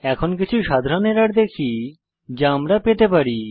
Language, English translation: Bengali, Now let us move on to some common errors which we can come across